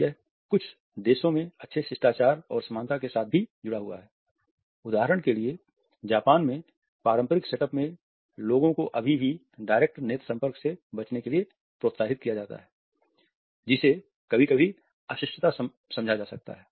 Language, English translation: Hindi, It is also linked with good manners and likeability in some countries for example, in Japan, in traditional setups people are still encouraged to avoid a direct eye contact which may sometimes be understood as being rude